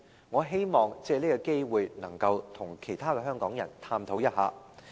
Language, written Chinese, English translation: Cantonese, 我希望藉此機會與香港人探討一下。, I wish to take this opportunity to explore this issue with the people of Hong Kong